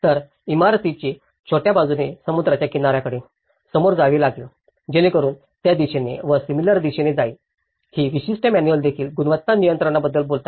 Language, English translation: Marathi, So, the building's; the shorter side will face the seaside, so that is how they are oriented and similarly, in terms of the; this particular manuals also talk about the quality control